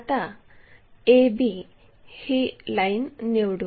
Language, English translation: Marathi, Let us pick a, A B line this one